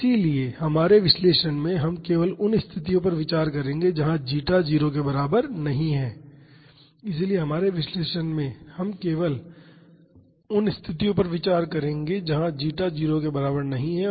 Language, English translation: Hindi, So, in our analysis we will consider only situations where zeta is not equal to 0 and beta j not equal to 1